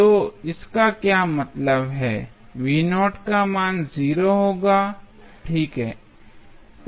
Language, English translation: Hindi, So, what does it mean the value of V naught would be 0, right